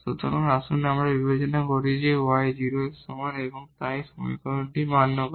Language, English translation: Bengali, So, let us consider that y is equal to 0 so, this equation is satisfied